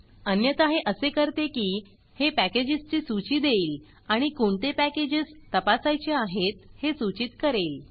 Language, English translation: Marathi, Otherwise what it will do is, it will give a list of packages and it will recommend the packages to be checked